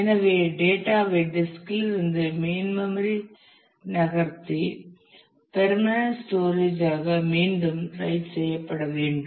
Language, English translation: Tamil, So, data needs to be moved from disk to the main memory and written back for permanent storage